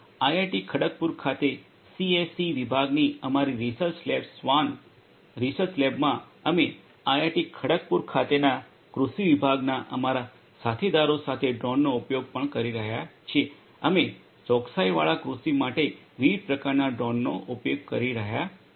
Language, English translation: Gujarati, And in our research lab the SWAN research lab in the department of CSE at IIT Kharagpur we are also using drones along with our colleagues from agricultural department at IIT Kharagpur we are using drones of different types for precision agriculture